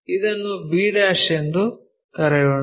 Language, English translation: Kannada, Let us call that is b'